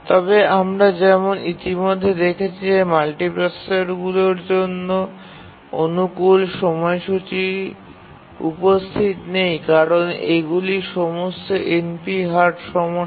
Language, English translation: Bengali, But as you already indicated that optimal schedulers for multiprocessors are not there because these are all NP Hard problems